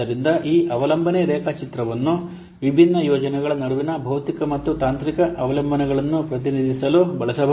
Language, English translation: Kannada, So this dependency diagram can be used to represent the physical and the technical dependencies between the different projects